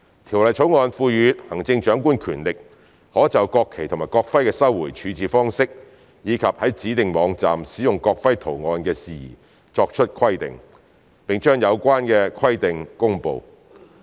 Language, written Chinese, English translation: Cantonese, 《條例草案》賦予行政長官權力，可就國旗及國徽的收回處置方式，以及在指定網站使用國徽圖案的事宜作出規定，並將有關規定公布。, The Bill empowers the Chief Executive to make and promulgate stipulations in relation to the manner of recovery and disposal of the national flags and the national emblems as well as the use of the national emblem design on designated websites